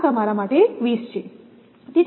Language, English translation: Gujarati, So, this is a quiz to you